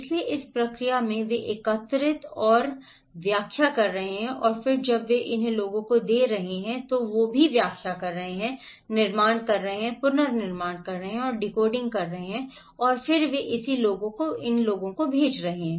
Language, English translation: Hindi, So in this process, they are collecting and interpreting and then when they are passing it to the people they are also interpreting, constructing, reconstructing and decoding and then they are sending it to the people